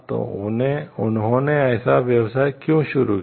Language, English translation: Hindi, So, why they started a business like this